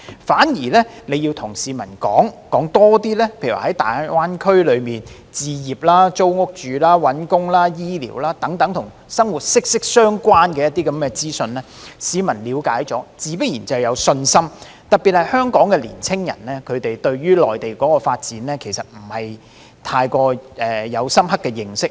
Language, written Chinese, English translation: Cantonese, 反而，政府要多告訴市民在大灣區置業、租屋、求職、醫療等與生活息息相關的資訊，市民了解後自然有信心，特別是香港年青人對於內地的發展其實並無深刻認識。, Instead the Government should provide the public with more information about living in GBA eg . the information on home purchase and renting job hunting and healthcare to boost their confidence